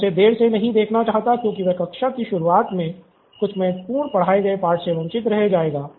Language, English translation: Hindi, I don’t want to see him late because he may be missing something important at the start of the class